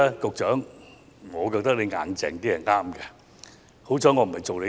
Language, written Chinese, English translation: Cantonese, 局長，我覺得你強硬起來是對的。, Secretary I think it is right for you to adopt a firm position